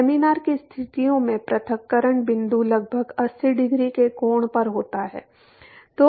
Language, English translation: Hindi, Under laminar conditions the separation point is approximately at eighty degree angle